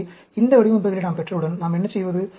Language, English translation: Tamil, So, once we have these designs, what do we do